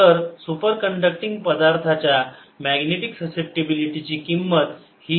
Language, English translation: Marathi, so the value of magnetic susceptibility of a superconducting material is minus one